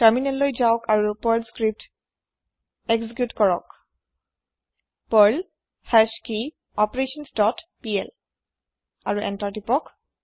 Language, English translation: Assamese, Switch to the terminal and execute the Perl script as perl hashKeyOperations dot pl and press Enter